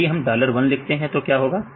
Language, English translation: Hindi, So, if you write dollar one what will happen